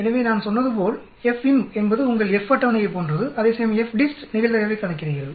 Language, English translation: Tamil, So as I said FINV is exactly like your F table, where as FDIST calculates the probability and if the probability is high greater than 0